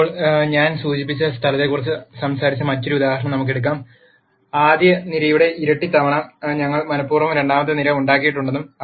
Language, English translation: Malayalam, Now, let us take the other example that we talked about where I mentioned that we have deliberately made the second column twice the rst column